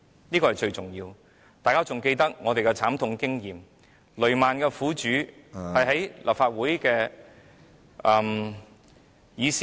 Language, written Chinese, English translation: Cantonese, 這是最重要的，大家還記得我們的慘痛經驗，雷曼兄弟事件的苦主在立法會的議事廳......, This is most important . Members should still recall our tragic experience and when the victims of the Lehman Brothers incident came to the Legislative Council